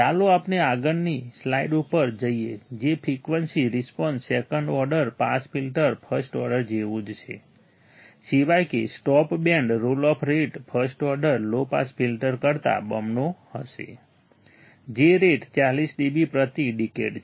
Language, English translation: Gujarati, Let us go to the next slide that is that the frequency response second order pass filter is identical to that of first order except that the stop band roll off rate will be twice of the first order low pass filter, which is 40 dB per decade